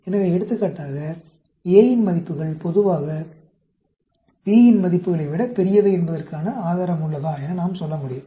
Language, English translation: Tamil, So, for example, we can say, is there an evidence that the values of A are generally larger than that of B